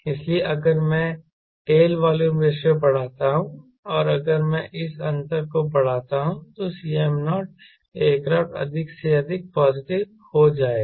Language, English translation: Hindi, so if i increase tail volume ratio and if i increase this difference, then c m naught the aircraft will become more and more positive